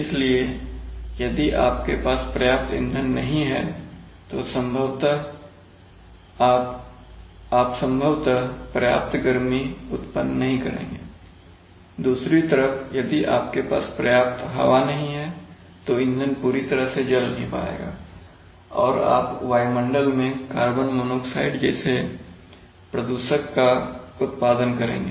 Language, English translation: Hindi, So if you do not have enough fuel then you are going to, you will probably not generate enough heat, on the other hand if you do not have enough air then the fuel will not be completely burnt and you will produce pollutant like carbon monoxide into the atmosphere